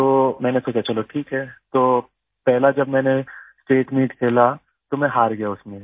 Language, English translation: Hindi, So I thought okay, so the first time I played the State Meet, I lost in it